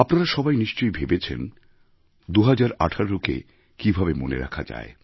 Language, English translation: Bengali, You must have wondered how to keep 2018 etched in your memory